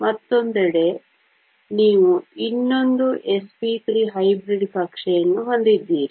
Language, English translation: Kannada, And on the other side, you have another s p 3 hybrid orbital